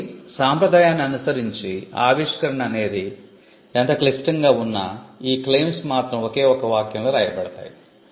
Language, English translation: Telugu, So, by convention, no matter how complicated, the invention is claims are written in one sentence